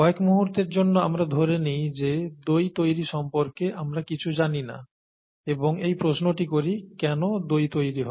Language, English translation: Bengali, Let us assume for a while that we know nothing about curd formation and ask the question, why does curd form